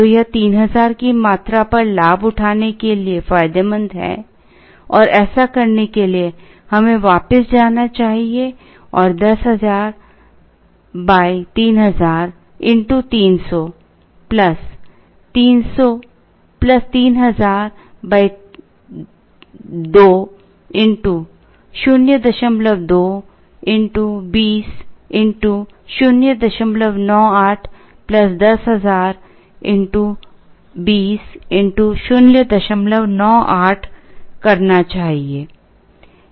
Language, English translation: Hindi, So, is it advantageous to avail it at a quantity of 3000 and in order to do that we should go back and do 10000 by 3000 into 300 plus 3000 by 2 into 0